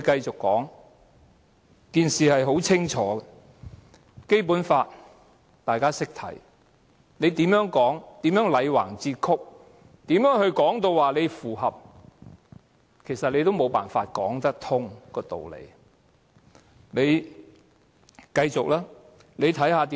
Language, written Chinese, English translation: Cantonese, 這件事很清楚，大家也懂得看《基本法》，無論政府如何"戾橫折曲"地說符合《基本法》，其實也無法把道理說得通。, This issue is very clear . We all understand the articles of the Basic Law . No matter how the Government has distorted the truth by saying that the Bill is compliant with the Basic Law actually its arguments can never hold water